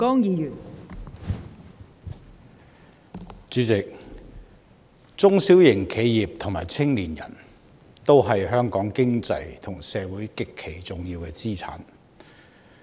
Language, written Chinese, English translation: Cantonese, 代理主席，中小型企業和青年人都是香港經濟和社會極其重要的資產。, Deputy President small and medium enterprises SMEs and young people are vital assets to Hong Kongs economy and society